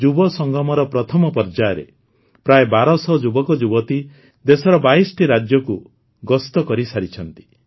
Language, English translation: Odia, In the first round of Yuvasangam, about 1200 youths have toured 22 states of the country